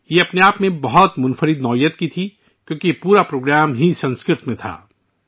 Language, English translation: Urdu, This was unique in itself, since the entire program was in Sanskrit